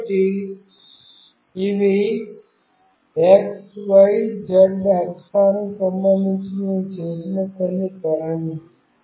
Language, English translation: Telugu, So, these are the few orientation, which we have made with respect to x, y, z axis